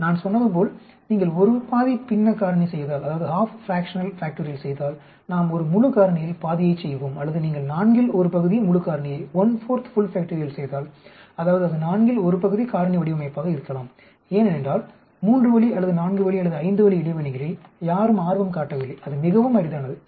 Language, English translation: Tamil, Like I said fractional factorial if you do a half fractional factorial we will be doing half of a full factorial or if you doing one fourth full factorial that means that could be a one fourth fractional factorial design because nobody is interested in three way or four way or five way interaction that is very, very rare